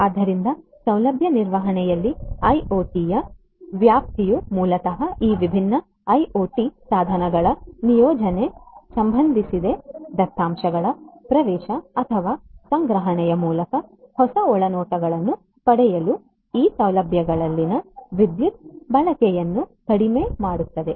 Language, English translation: Kannada, So, scope of IoT in facility management basically concerns the deployment of these different IoT devices, to get new insights through the access or gathering of the data, reducing power consumption in these facilities